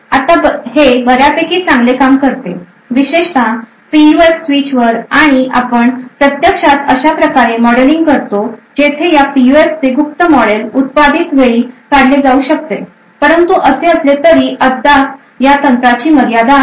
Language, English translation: Marathi, Now this works quite well, especially on PUF switch and we actually modelling such a way where the secret model of this PUF can be extracted at the manufactured time but nevertheless this technique still has a limitation